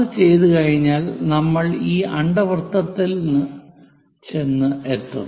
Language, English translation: Malayalam, After doing that we will end up with this ellipse